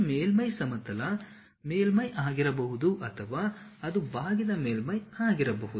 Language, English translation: Kannada, This surface can be plane surface or it can be curved surface